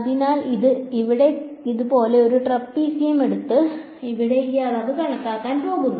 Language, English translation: Malayalam, So, it is going to take a trapezium like this and estimate the area as this quantity over here ok